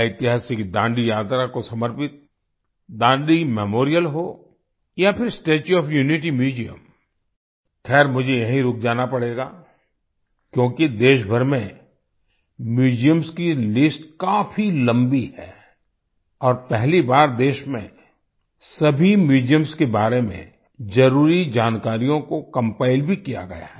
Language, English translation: Hindi, Whether it is the Dandi Memorial dedicated to the historic Dandi March or the Statue of Unity Museum,… well, I will have to stop here because the list of museums across the country is very long and for the first time the necessary information about all the museums in the country has also been compiled